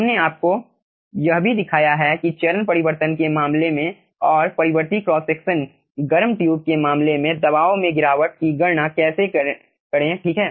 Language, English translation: Hindi, we have also shown you how to calculate the pressure drop in case of aah, phase change, in case of aah variable cross section heated tube